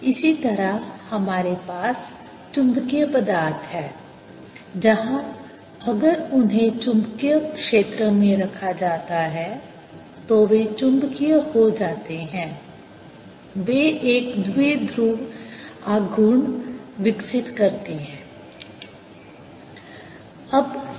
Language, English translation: Hindi, similarly we have magnetic materials where if they you put them in the magnetic field, they get magnetized, they develop a dipole moment